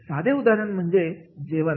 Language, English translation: Marathi, A simple example is of the food